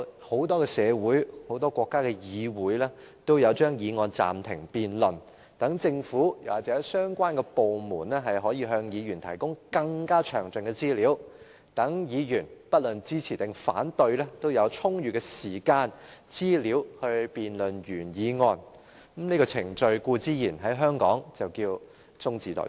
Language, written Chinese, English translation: Cantonese, 很多社會或國家的議會也會把議案暫停辯論，讓政府或相關部門可向議員提供更加詳盡的資料，讓議員不論是支持或反對，也有充裕時間和資料辯論議案，而在香港，這項程序就稱為"中止待續"。, Actually the legislatures of many societies or countries will likewise adjourn their motion debates to allow their governments or the relevant departments to provide more information to legislators so that legislators on both sides can have sufficient time and information for holding a debate . In the context of Hong Kong this procedure is called adjournment